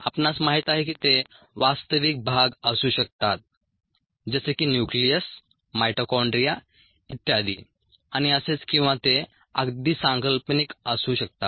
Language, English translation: Marathi, you know they could be actual compartments, such as the nucleus, mitochondria, so on and so forth, or they could be even conceptual